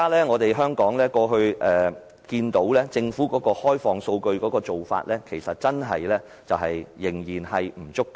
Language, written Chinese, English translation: Cantonese, 我們看到，政府在過去開放數據的做法仍然不足夠。, We see that the Government has not made enough past efforts on making available its data